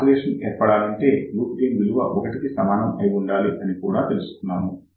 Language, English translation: Telugu, So, the oscillation condition is nothing but loop gain should be equal to 1